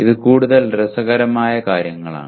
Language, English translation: Malayalam, These are more interesting things